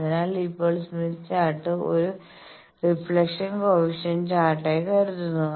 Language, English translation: Malayalam, So, think now Smith Chart as a reflection coefficient chart